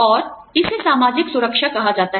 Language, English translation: Hindi, And, this is called social security